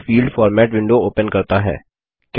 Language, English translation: Hindi, This opens the Field Format window